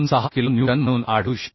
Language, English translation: Marathi, 26 kilo Newton This 45